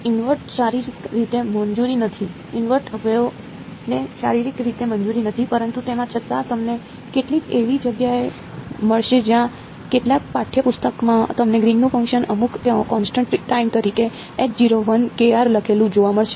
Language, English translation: Gujarati, Invert is physically not allowed; invert waves are not physically allowed, but still you will find some places where, in some text books you will find the Green’s function written as some constant times H naught 1 kr